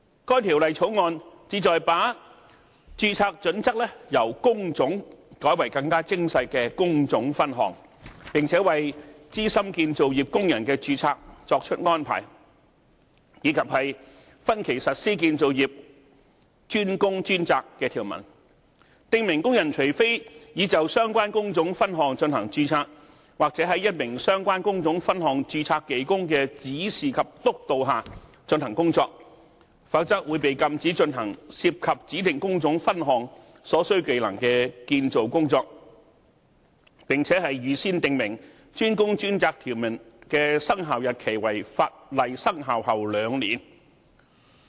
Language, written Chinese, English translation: Cantonese, 該《條例草案》旨在把註冊準則由工種改為更為精細的工種分項，並且為資深建造業工人的註冊作出安排，以及分期實施建造業"專工專責"的條文，訂明工人除非已就相關工種分項進行註冊，或在一名相關工種分項註冊技工的指示及督導下進行工作，否則會被禁止進行涉及指定工種分項所需技能的建造工作，並且預先訂明"專工專責"條文的生效日期為法例生效後兩年。, The Bill sought to change the registration basis from trade to the more detailed trade division make arrangements for registration of veteran workers and implement in phases the DWDS requirement in the construction sector . It forbids workers from carrying out construction work involving skills required by designated trade divisions unless they are registered for the relevant trade divisions or under the instruction and supervision of a relevant trade division - registered worker . It also stipulates that the DWDS requirement will come into force two years after the commencement of the legislation